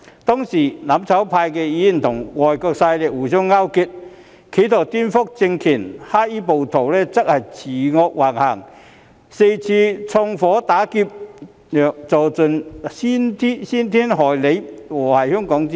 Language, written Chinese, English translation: Cantonese, 當時，"攬炒派"議員與外國勢力互相勾結，企圖顛覆政權；黑衣暴徒則恃惡橫行，四處縱火打劫，做盡傷天害理、禍壞香港的事情。, At the time Members advocating mutual destruction colluded with foreign forces in an attempt to subvert state power . Aggressive black - clad mobs committed arson and robbery here and there brazenly and defied morality and Hong Kongs well - being with all their evil deeds